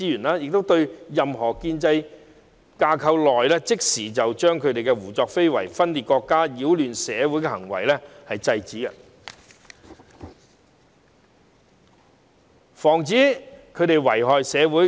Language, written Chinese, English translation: Cantonese, 這樣便可在建制架構內，即時制止他們胡作非為、分裂國家及擾亂社會的行為，防止他們遺害社會。, This enables actions to be taken within the institutional framework to immediately stop them from acting wantonly engaging in secession and causing turmoil in society thereby preventing them from doing harm to our society